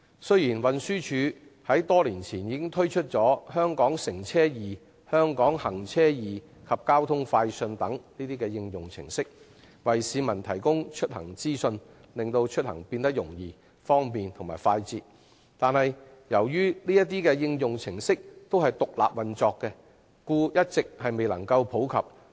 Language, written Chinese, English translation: Cantonese, 雖然運輸署於多年前推出"香港乘車易"、"香港行車易"及"交通快訊"等應用程式，為市民提供出行資訊，使出行變得更容易、方便和快捷，但由於這些應用程式獨立運作，一直未能普及。, Despite the launch by the Transport Department TD years ago of a few applications namely Hong Kong eTransport Hong Kong eRouting and eTraffic News to provide the public with information on transportation to make it easier more convenient and faster these applications remain unpopular as they are operate independently